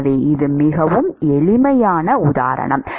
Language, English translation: Tamil, So, this is a very simplistic example